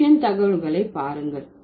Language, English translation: Tamil, Look at the Russian data